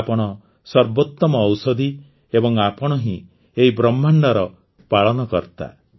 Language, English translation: Odia, You are the best medicine, and you are the sustainer of this universe